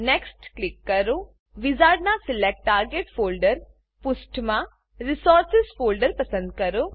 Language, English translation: Gujarati, In the Select Target Folder page of the wizard, select the Resources folder